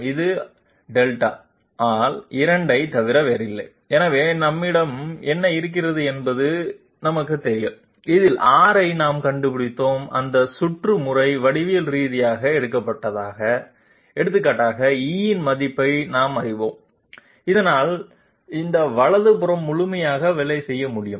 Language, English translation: Tamil, It is nothing but Delta by 2, so what do we have is known, we have found out R in this that round about manner geometrically for example, we know the value of E so that this right hand side can be completely worked out